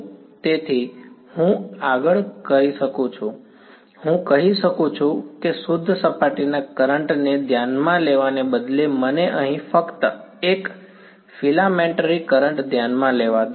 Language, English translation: Gujarati, So, I can further do this I can say instead of considering the pure surface current let me con consider just a filamentary current over here right